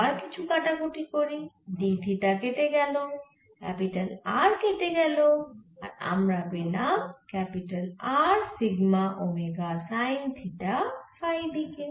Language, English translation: Bengali, let's again do some cancelation: d theta cancels, r cancels and you get r sigma, omega, sin theta